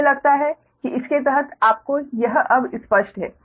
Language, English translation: Hindi, i think it is under it is now clear to you right